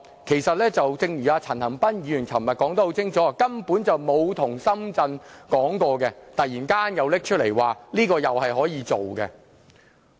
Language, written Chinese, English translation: Cantonese, 其實正如陳恒鑌議員昨天說得很清楚，根本從沒有跟深圳商討，現在突然提出可以這樣做。, But as Mr CHAN Han - pan explained clearly yesterday they suddenly put forward this Futian proposal despite the fact that there has never been any discussion with Shenzhen on this option